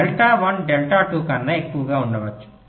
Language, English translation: Telugu, it may so happen, delta one is greater than delta two